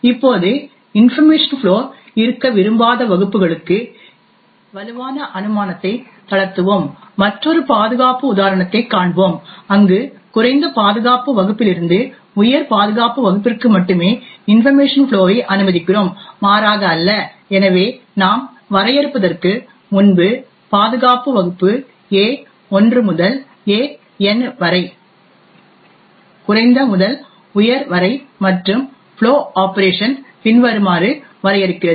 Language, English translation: Tamil, Now let us relax this strong assumption where we do not want to have information flow between classes, we will see another example where we only permit information flow from a lower security class to a higher security class and not vice versa, so as before we define security class A1 to AN ranging from low to high and define the flow operation as follows